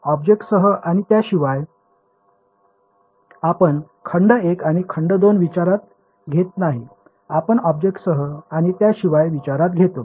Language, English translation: Marathi, Beside with and without the object right, we did not consider a volume one and then volume two, we consider considered with and without object